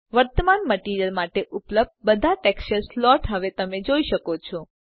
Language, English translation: Gujarati, Now you can see all the texture slots available for the current material